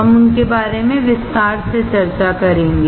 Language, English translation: Hindi, We will discuss them in detail